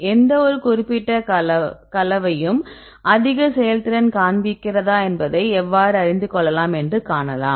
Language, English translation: Tamil, So, then how do you see whether any particular combination shows the highest performance